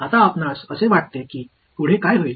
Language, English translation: Marathi, Now, what you think would be next